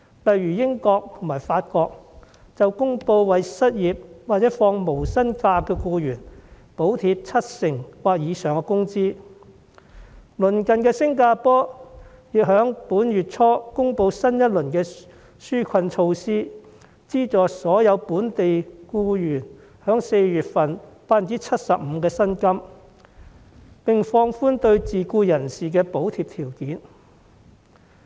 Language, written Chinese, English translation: Cantonese, 例如英國和法國公布為失業或放取無薪假的僱員，補貼七成或以上的工資；鄰近的新加坡亦在本月初公布新一輪紓困措施，資助所有本地僱員4月份薪金的 75%， 並放寬對自僱人士的補貼條件。, For example the United Kingdom and France announced wage subsidies of 70 % or more for the unemployed or employees taking unpaid leave; neighbouring Singapore also announced a 75 % wage subsidy for all local employees and relaxed the subsidy criteria for self - employed people in the new round of relief measures earlier this month